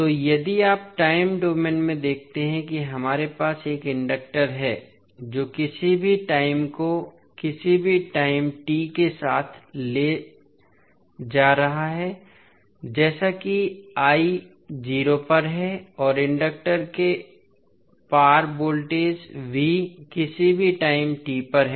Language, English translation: Hindi, So, if you see in time domain we have a inductor which is carrying some current I at any time t with initial current as i at 0 and voltage across inductor is v at any time t